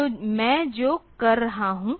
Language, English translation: Hindi, So, what I am doing